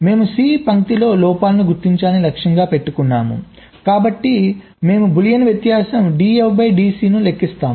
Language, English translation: Telugu, so, since we are targeting to detect faults on line c, we compute the boolean difference d, f, d, c